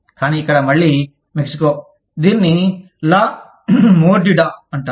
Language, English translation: Telugu, But, here again, Mexico, it is called La Mordida